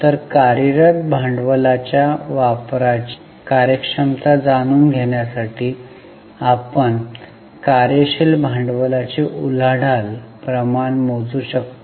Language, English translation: Marathi, So, to know the efficiency in use of working capital, we can calculate working capital turnover ratio